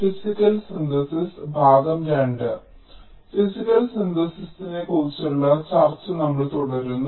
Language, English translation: Malayalam, so we continue with our discussion on physical synthesis